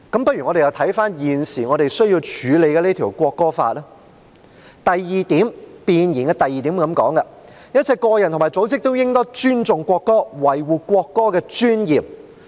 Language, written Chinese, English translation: Cantonese, 不如我們又看看現在需要審議的《國歌條例草案》，弁言的第2點訂明"一切個人和組織都應當尊重國歌，維護國歌的尊嚴"。, Let us take a look at the National Anthem Bill under our scrutiny now . Paragraph 2 of the Preamble provides that all individuals and organizations should respect the national anthem preserve the dignity of the national anthem